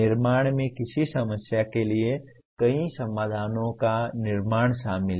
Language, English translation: Hindi, Creation involves producing multiple solutions for a given problem